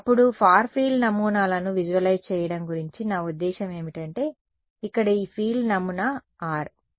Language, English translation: Telugu, Then, I mean the other sort of nice thing about visualizing far field patterns is that this field pattern here does not depend on r